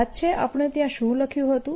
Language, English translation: Gujarati, recall what did we write there